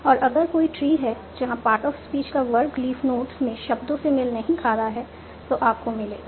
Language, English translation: Hindi, And if there is any tree where the part of speech categories are not matching the words at the leaf notes, you will check that